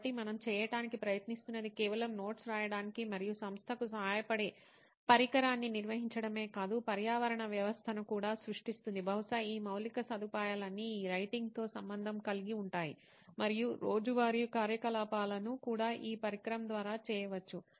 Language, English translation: Telugu, So what we are trying to do is not just build a device which helps writing and organization of notes but also creates an ecosystem, probably an infrastructure where all these activities associated with writing and also daily activities which include writing can be done through this device